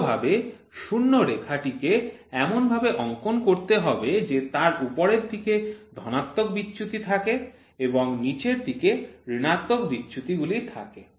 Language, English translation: Bengali, The convention is to draw a zero line horizontally with positive deviations represented above and the negative deviations represented below